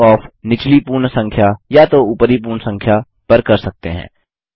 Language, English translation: Hindi, Rounding off, can also be done to either the lower whole number or the higher number